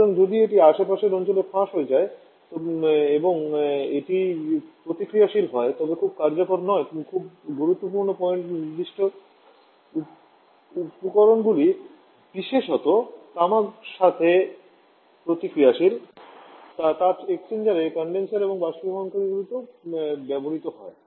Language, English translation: Bengali, So, not very useful if it gets affecting the surrounding and it is reactive very important point is reactive to certain material respectively copper, which is used in the heat exchangers in the condenser and evaporators